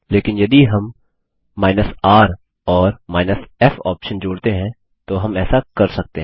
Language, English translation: Hindi, But if we combine the r and f option then we can do this